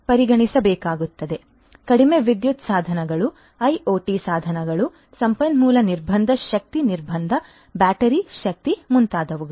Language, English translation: Kannada, So, low power devices, IoT devices, resource constraint energy constraint battery power and so on